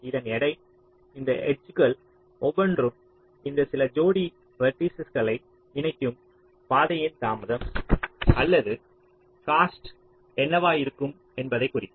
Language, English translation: Tamil, so the weight of this, each of this edges, will indicate that what will be the cost or the delay of the path connecting these two pair of vertices